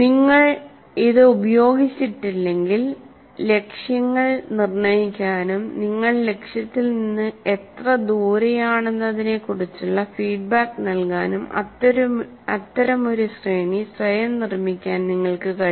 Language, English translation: Malayalam, If you have not used this, you can construct such a sequence yourself of setting goals and giving feedback how far you are from the goal